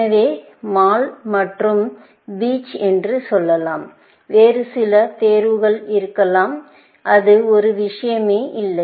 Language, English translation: Tamil, So, let us say, mall and beech, and may be, some other choices; does not matter